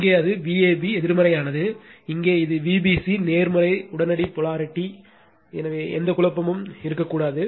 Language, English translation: Tamil, Here it is V a b negative, here it is V b c positive instantaneous polarity right so, no there should not be any confusion